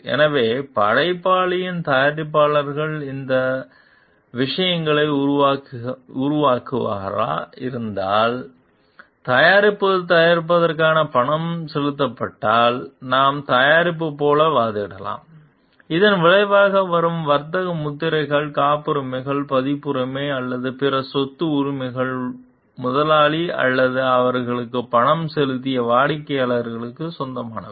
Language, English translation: Tamil, So, if the producer of the creator is who has developed these things are paid for producing the product, then we can argue like the product and any resulting trademarks, patents, copyrights or other property rights belong to the employer or the client who paid them